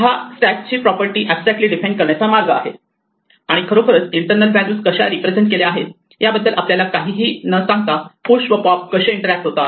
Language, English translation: Marathi, This is a way of abstractly defining the property of a stack and how push and pop interact without actually telling us anything about how the internal values are represented